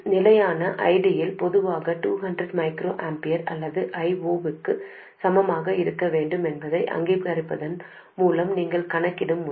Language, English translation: Tamil, The way you calculate it is by recognizing that in steady state ID has to be equal to 200 microamperors or I0 in general